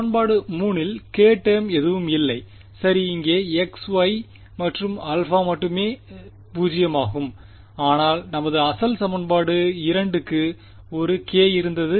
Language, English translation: Tamil, Equation 3 did not have any k term over here correct there is there is only x y and alpha which is 0, but our original equation 2 had a k